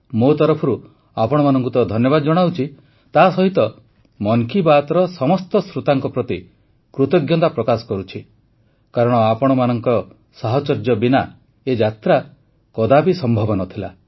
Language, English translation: Odia, From my side, it's of course THANKS to you; I also express thanks to all the listeners of Mann ki Baat, since this journey just wouldn't have been possible without your support